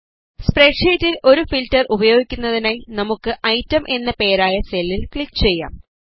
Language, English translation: Malayalam, In order to apply a filter in the spreadsheet, lets click on the cell named Item